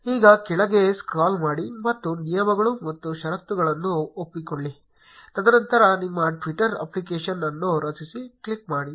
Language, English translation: Kannada, Now scroll down, and agree to the terms and condition; and then click on create your twitter application